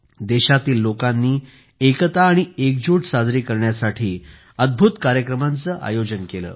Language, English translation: Marathi, The people of the country also organized many amazing events to celebrate unity and togetherness